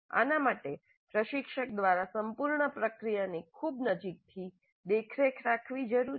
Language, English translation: Gujarati, This requires very close monitoring the whole process by the instructor